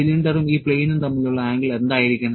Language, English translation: Malayalam, What should be the angle between the cylinder and this plane